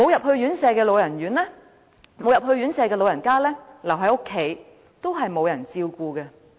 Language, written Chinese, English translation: Cantonese, 即使老人家沒有入住院舍，但留在家中也是沒有人照顧的。, Even if elderly persons are not admitted to these institutions they will receive no care if they stay at home